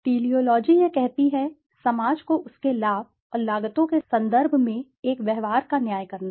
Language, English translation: Hindi, The Teleology, it says, to judge a given behavior in terms of its benefit and costs to society